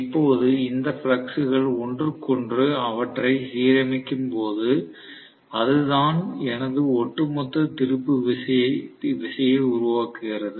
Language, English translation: Tamil, Now, this flux, when they are aligning with each other that is what actually creates my overall torque